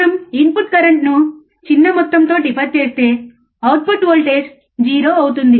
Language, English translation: Telugu, If we dieffer the input current by small amount, the output voltage will become 0